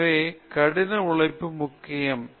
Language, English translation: Tamil, So, therefore, hard work is the key